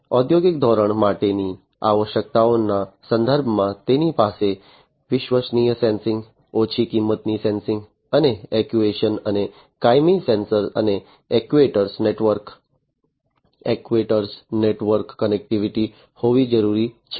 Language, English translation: Gujarati, In terms of the requirements for industrial standard, it is required to have reliable sensing, low cost sensing and actuation, and perpetual sensor and actuator network connectivity